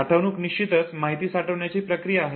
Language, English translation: Marathi, Storage of course is the process of retention